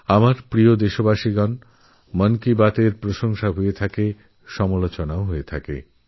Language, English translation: Bengali, My dear countrymen, 'Mann Ki Baat' has garnered accolades; it has also attracted criticism